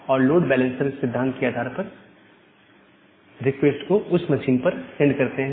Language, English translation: Hindi, And or based on the load balancing principle and then send the request to those particular machine